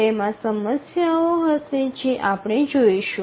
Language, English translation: Gujarati, It will have problems as you will see